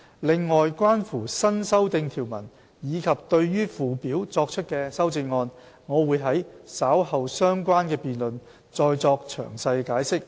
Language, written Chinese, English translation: Cantonese, 另外，關乎新訂條文及對附表作出的修正案，我會在稍後相關的辯論再作詳細解釋。, Moreover I will further explain in detail the new provisions and amendments to the Schedule in the relevant debates later on